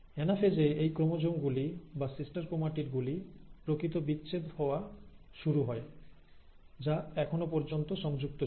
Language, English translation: Bengali, So in anaphase, the actual separation of these chromosomes or sister chromatids which were attached all this while starts getting segregated